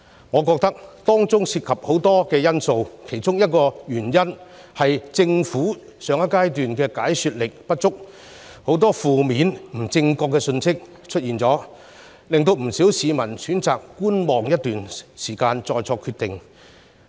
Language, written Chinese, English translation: Cantonese, 我認為當中涉及很多因素，其中一個是政府在上一階段解說不足，導致很多負面、不正確的信息出現，令不少市民選擇觀望一段時間再作決定。, I think that there are many factors and among them is the lack of explanation by the Government in the previous stage which has given rise to a lot of negative and incorrect information . Thus many people have chosen to wait and see before making a decision